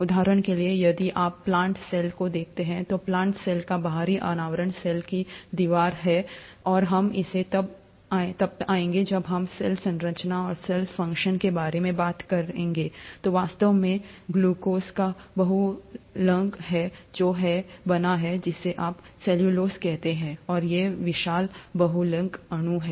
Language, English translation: Hindi, For example, if you look at the plant cell, the outer covering of the plant cell is the cell wall, and we’ll come to it when we’re talking about cell structure and cell function is actually a polymer of glucose, which is made up of, which is what you call as cellulose, and these are huge polymeric molecules